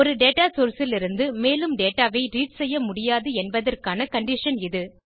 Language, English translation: Tamil, It is a condition where no more data can be read from a data source